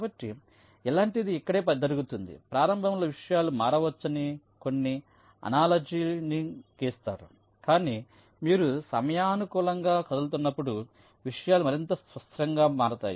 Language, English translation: Telugu, some analogy is drawn that initially things might change, but as you move in time things will become more and more stable